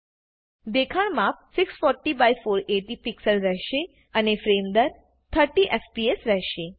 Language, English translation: Gujarati, The view dimensions will be 640*480 pixels and the frame rate will be 30fps